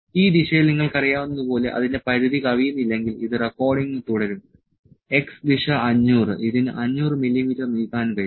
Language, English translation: Malayalam, It will keep recording unless it limits exceeds like you know in this direction, the x direction 500 is the length it can move 500 mm